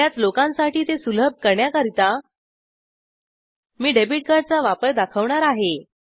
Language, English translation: Marathi, In order to make it accessible to most people , i am going to demonstrate the use of debit card